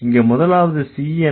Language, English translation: Tamil, What is the third C